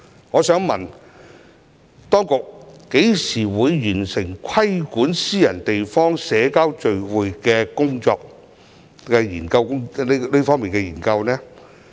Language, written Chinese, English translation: Cantonese, 我想問當局何時完成規管私人地方社交聚會的研究工作？, I would like to ask the authorities when will the study on regulating social gatherings in private properties be completed?